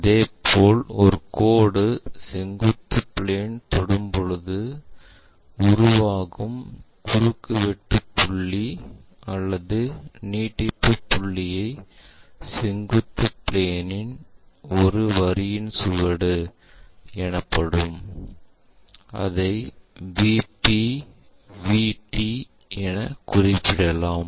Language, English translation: Tamil, Similarly, if a line is touching the vertical plane the intersection point either that or the extension point that is what we call trace of a line on vertical plane, and usually we denote it by VP VT